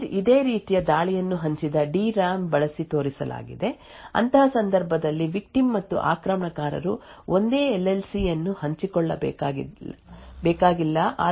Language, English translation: Kannada, Very recently a very similar type of attack was also showed using a shared DRAM in such a case the victim and the attacker do not have to share the same LLC but have to share a common DRAM